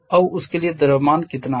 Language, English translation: Hindi, Now how much is the mass for that